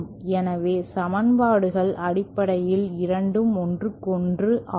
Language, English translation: Tamil, So, the equations are basically the dual of each other